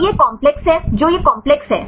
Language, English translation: Hindi, So, this is the complex the which complex this one